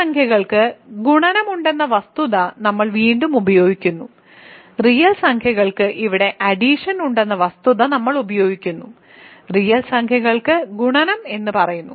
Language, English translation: Malayalam, So, again we are using the fact that real numbers have multiplication earlier we use the fact that real numbers have addition here we are using the fact that real numbers say multiplication